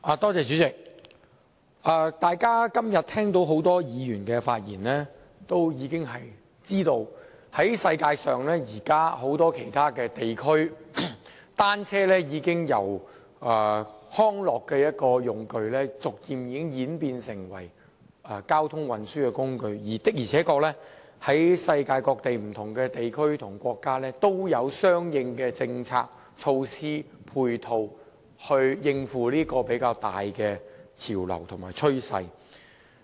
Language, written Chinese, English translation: Cantonese, 代理主席，聽到今天多位議員的發言後，大家也知道在全球很多其他地區，單車已由康樂工具逐漸演變成為交通運輸工具，而世界各地不同地區和國家也確實有相應的政策、措施和配套，應付這個比較大的潮流和趨勢。, Deputy President after hearing the remarks made by a number of Members today we all know that in many other regions around the world bicycles have developed from a recreational tool into a mode of transport . Various regions and countries around the world have put in place corresponding policies measures and ancillary facilities to cope with this prevailing style and trend